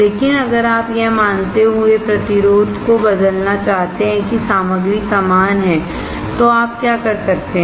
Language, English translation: Hindi, But if you want to change the resistance assuming that the material is same, then what you can do